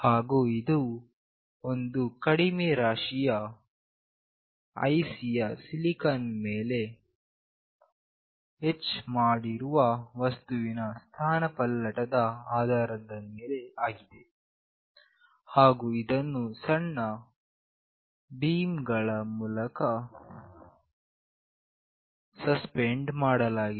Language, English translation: Kannada, And this is based on displacement of a small mass that is etched into the silicon surface of the IC, and suspended by small beams